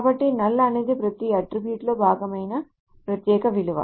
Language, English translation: Telugu, So null is a special value that is part of every attribute